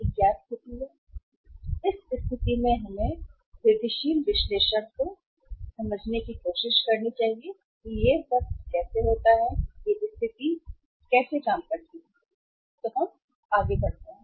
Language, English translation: Hindi, So in this situation let us go for the incremental analysis and try to understand that how this all say this situation works out and how we move forward